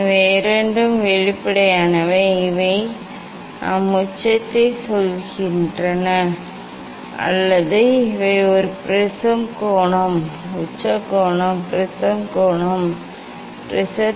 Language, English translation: Tamil, these two are transparent and these we tell apex or these we take as a prism angle, apex angle, prism angle